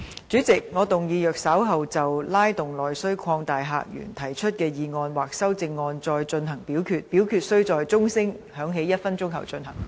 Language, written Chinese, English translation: Cantonese, 主席，我動議若稍後就"拉動內需擴大客源"所提出的議案或修正案再進行點名表決，表決須在鐘聲響起1分鐘後進行。, President I move that in the event of further divisions being claimed in respect of the motion of Stimulating internal demand and opening up new visitor sources or any amendments thereto this Council do proceed to each of such divisions immediately after the division bell has been rung for one minute